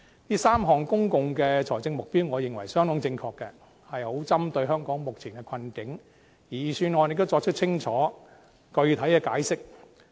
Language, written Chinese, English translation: Cantonese, 這3項公共財政目標，我認為相當正確，正好針對香港目前的困境，而預算案也作出清楚、具體的解釋。, I think these three objectives in public finance are appropriately set out against the plight of Hong Kong at present and they are also clearly and substantially explained in the Budget